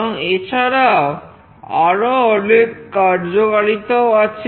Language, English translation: Bengali, And there are many other applications as well